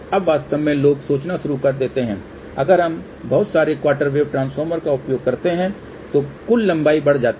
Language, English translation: Hindi, Now, actually people start thinking then if we use too many quarter wave transformers, my overall length increases